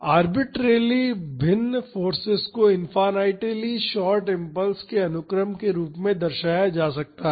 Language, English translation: Hindi, Arbitrarily varying force can be represented as a sequence of infinitely short impulses